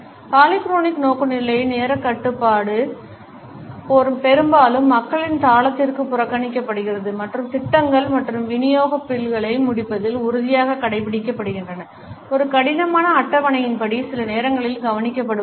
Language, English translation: Tamil, In the polychronic orientation punctuality is largely ignored to the rhythm of the people and the rigid adherence to completing the projects and delivery bills, according to a rigid schedule is sometimes overlooked